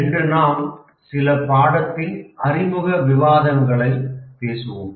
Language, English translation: Tamil, Today we will have some introductory discussion